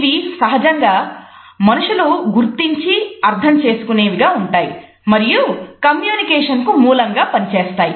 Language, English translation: Telugu, They can normally be seen and evaluated by people and therefore, they form the basis of communication